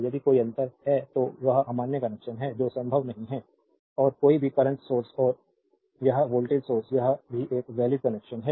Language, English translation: Hindi, If there is a difference is then that is invalid connection that is not possible and any current source and this voltage source this is also a valid connection